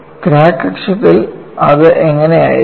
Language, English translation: Malayalam, So, on the crack axis, how it will be